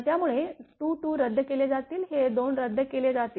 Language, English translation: Marathi, So, 2 2 will be cancel this 2 will be cancel